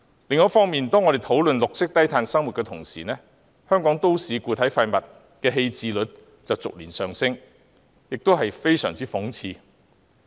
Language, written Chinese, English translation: Cantonese, 另一方面，當我們討論綠色低碳生活時，香港都市固體廢物的棄置率卻逐年上升，非常諷刺。, On the other hand while we are talking about a green and low - carbon lifestyle the disposal rate of municipal solid waste in Hong Kong has ironically been on the rise year after year